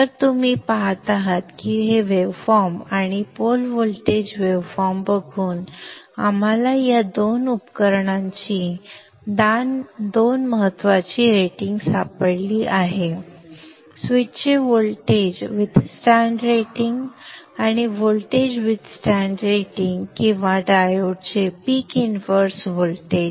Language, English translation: Marathi, So you see that just by looking at the waveform and the poor voltage waveform we have found two important ratings of these two devices the voltage withstanding rating of the switch and the voltage withstanding rating of the switch and the voltage withstanding rating of the peak inverse voltage of the time